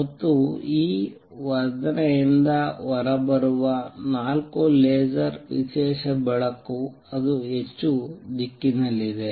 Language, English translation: Kannada, And four laser which comes out this amplification is special light that is highly directional